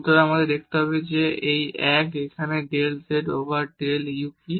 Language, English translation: Bengali, So, we need to see what is this 1 here del z over del u